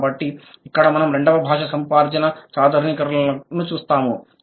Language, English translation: Telugu, So, here we will see the second language acquisition based generalization